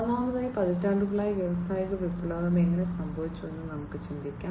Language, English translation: Malayalam, So, first of all let us think about, how the industrial revolution has happened over the decades